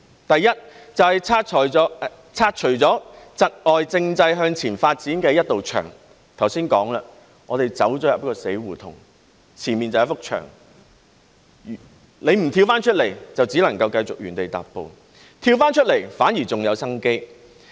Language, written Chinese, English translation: Cantonese, 第一，是拆除窒礙政制向前發展的一道牆，正如剛才我說，我們進入了死胡同，前面便是一幅牆，如果不跳出來，就只能繼續原地踏步；跳出來，反而還有生機。, Firstly it demolishes the wall hindering constitutional development . As I said just now we have entered a dead end with a wall in front . If we do not jump out of it we can only stand still; if we jump out there will still be the chance to turn things round